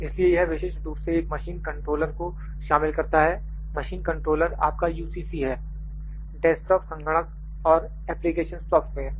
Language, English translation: Hindi, So, this typically includes a machine controller machine controller is your UCC, desktop computer and application software